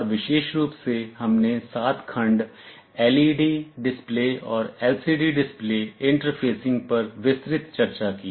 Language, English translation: Hindi, And specifically we had detailed discussions on 7 segment LED display and LCD display interfacing